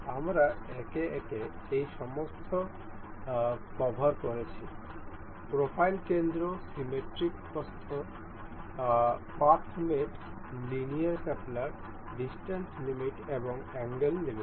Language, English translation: Bengali, We have covered all of these one by one; the profile center, the symmetric width, path mate, linear coupler, distance limit and angle limits